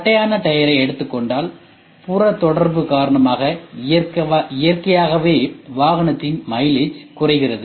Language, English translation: Tamil, If I take a flatter tyre with a tire which has a larger contact area naturally the mileage is going to go low